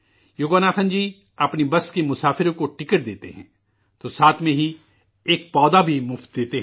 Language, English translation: Urdu, Yoganathanjiwhile issuing tickets to the passengers of his busalso gives a sapling free of cost